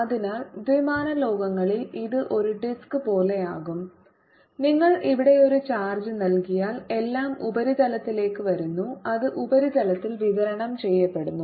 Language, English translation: Malayalam, so in two dimensional world it will be like a disk and if you give a charge here it is all coming to the surface, it get distributed on the surface